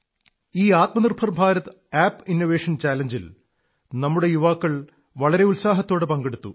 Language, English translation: Malayalam, Our youth participated enthusiastically in this Aatma Nirbhar Bharat App innovation challenge